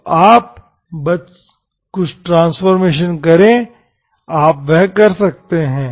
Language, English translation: Hindi, So you just shift some transformation, you can do that